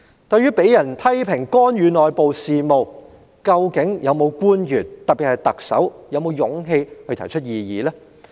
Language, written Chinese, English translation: Cantonese, 對於被人批評干預內部事務，究竟有否任何官員，特別是特首，有勇氣提出異議呢？, In the face of criticisms about interference of internal affairs do any government officials especially the Chief Executive have the courage to raise objections?